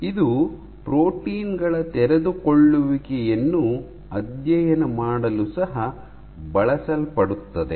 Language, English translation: Kannada, And it has also found use for studying unfolding of proteins